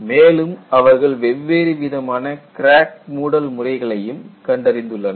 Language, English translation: Tamil, Then, people also identified different modes of crack closure